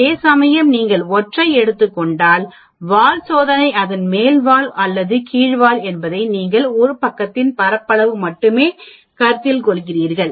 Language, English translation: Tamil, Whereas if you are taking single tailed test whether its upper tailed or lower tailed, you are considering only one side of the area